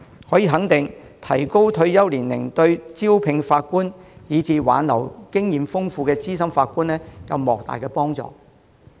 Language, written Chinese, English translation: Cantonese, 可以肯定的是，提高退休年齡對招聘法官，以及挽留經驗豐富的資深法官有莫大幫助。, It can be affirmed that extending the retirement age is very conducive to the recruitment of judges and retention of senior judges with rich experience